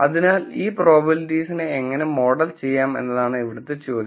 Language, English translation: Malayalam, So, the question then, is how does one model these probabilities